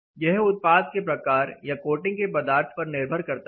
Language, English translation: Hindi, It depends on the type of products or the coating material which is used